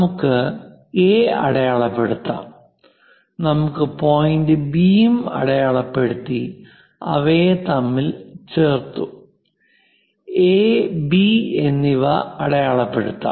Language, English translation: Malayalam, Let us mark A; perhaps let us mark point B, join them;mark it A and B